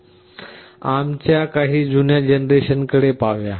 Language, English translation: Marathi, Let us look at some of the older generations of ARM